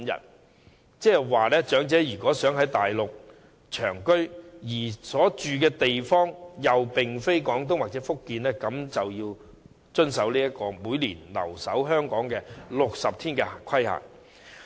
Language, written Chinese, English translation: Cantonese, 換言之，如果長者想在大陸長期居住，但所住的地方又並非廣東或福建，他們便須遵守每年留港60天的規限。, In other words elderly people who wish to live permanently in places other than Guangdong or Fujian on the Mainland must observe the requirement of staying in Hong Kong for 60 days a year